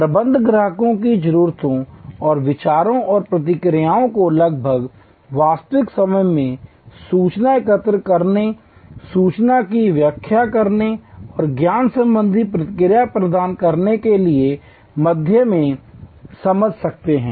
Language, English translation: Hindi, Managers can understand customers needs and opinions and reactions almost in real time through the system of gathering information, interpreting information and providing back knowledgeable feedback